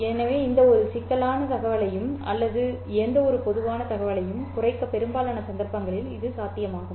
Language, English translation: Tamil, So, it is possible in most cases to reduce any complicated information or any general kind of an information